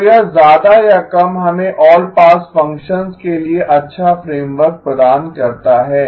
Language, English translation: Hindi, So this more or less gives us a good framework for the all pass functions